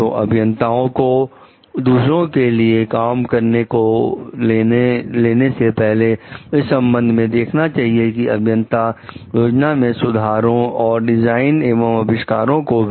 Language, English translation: Hindi, So, engineers before undertaking work for others in connection with which like the engineer may make improvements plans, the designs, inventions